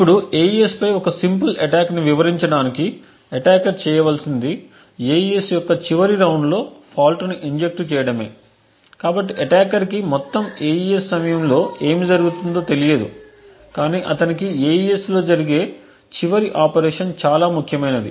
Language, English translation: Telugu, Now in order to demonstrate a simple attack on AES what an attacker needs to do is to inject a fault in exactly the last round of AES, so the attacker need not know what is happening during the entire AES but important for him is the last operation what is performed on AES